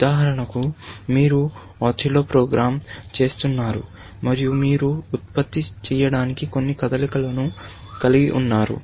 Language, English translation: Telugu, For example, you are doing the Othello program, and you have some set of moves to generate